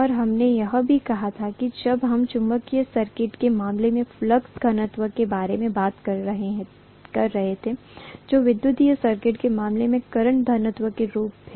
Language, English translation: Hindi, And we also said when we were talking about flux density in the case of a magnetic circuit that is correspond to corresponding to current density in the case of an electrical circuit, right